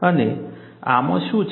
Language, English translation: Gujarati, And what does this contain